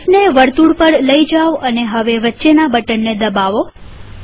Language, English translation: Gujarati, Move the mouse to the circle and now click the middle mouse button